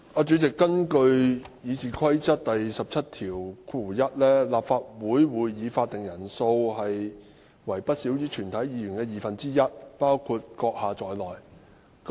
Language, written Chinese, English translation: Cantonese, 主席，根據《議事規則》第171條，立法會會議法定人數為不少於全體議員的二分之一，包括你在內。, President under Rule 171 of the Rules of Procedure RoP the quorum of the Council shall be not less than one half of all its Members including you